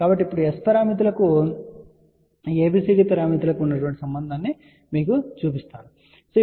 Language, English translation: Telugu, So, now, I am going to show you the relation which is ABCD to S parameters